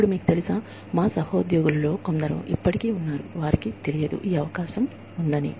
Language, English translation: Telugu, Now, you know, there are still some of our colleagues, who do not know, that this opportunity exists